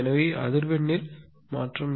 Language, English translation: Tamil, So, change in frequency